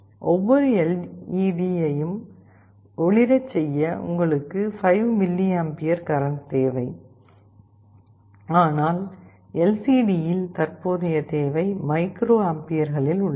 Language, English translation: Tamil, I told you to glow every LED, you need of the order of 5 mA of current, but in LCD the current requirement is of the order of microamperes